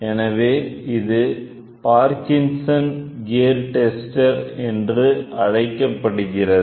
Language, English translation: Tamil, So, this is otherwise called as Parkinson Gear Tester